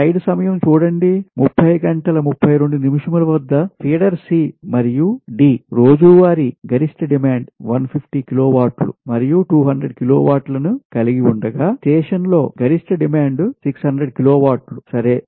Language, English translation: Telugu, feeder c and d have a daily maximum demand of o e, fifty kilowatt and two hundred kilowatt respectively, while the maximum demand on the station is six hundred kilowatt right